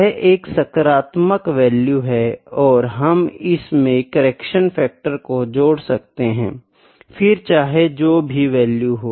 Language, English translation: Hindi, So, this is a positive value and when we need to add the correction factor; the correction factor is whatever the value comes